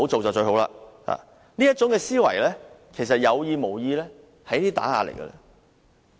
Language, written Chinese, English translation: Cantonese, 這種思維，不論是有意或無意，其實都是打壓。, Such a mentality whether intentional or not is in fact a kind of suppression